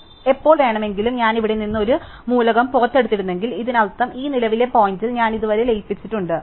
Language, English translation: Malayalam, So, any time now if I had pulled out an element from here; that means, at this current point I have merge up to this an up to this